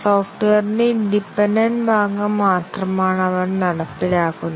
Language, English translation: Malayalam, They are only executing the independent part of the software